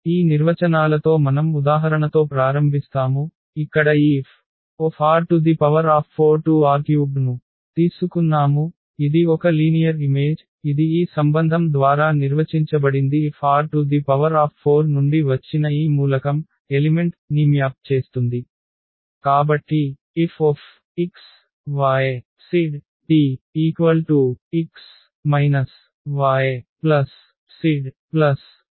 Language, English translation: Telugu, So, with these definitions we start now here with the example, where we have taken this F linear map from R 4 to R 3 is a linear mapping which is defined by this relation F maps this element which is from R 4